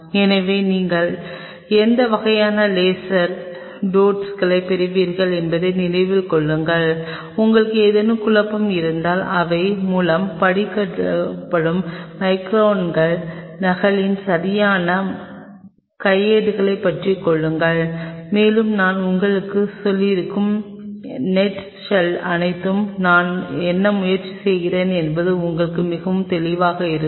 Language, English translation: Tamil, So, keep in mind what kind of laser diodes your getting and if you have any confusion grab proper manual on microns copy read through them, and all those very nut shell what I have told you will be very clear to you what I am trying to tell you